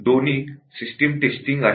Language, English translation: Marathi, How do we do the system testing